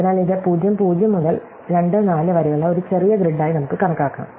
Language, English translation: Malayalam, So, we can think of this as a smaller grid from (0, 0) to (2, 4), right